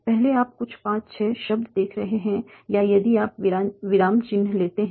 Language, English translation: Hindi, So first you are seeing some five, six words also if you take the punctuation